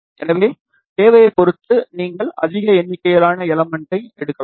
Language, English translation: Tamil, So, depending upon the requirement, you can take larger number of elements